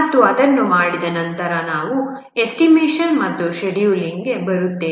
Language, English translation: Kannada, And once that has been done, we come to estimation and scheduling